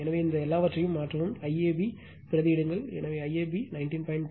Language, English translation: Tamil, So, substitute your all these things, I ab you substitute, so I ab is 19